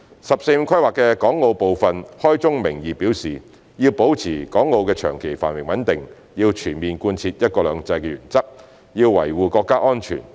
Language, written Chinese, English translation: Cantonese, "十四五"規劃的港澳部分開宗明義表示要保持港澳的長期繁榮穩定，要全面貫徹"一國兩制"的原則，要維護國家安全。, The part concerning Hong Kong and Macao in the 14th Five - Year Plan states from the outset that to maintain the long - term prosperity and stability of Hong Kong and Macao it is imperative to fully implement the one country two systems principle and safeguard national security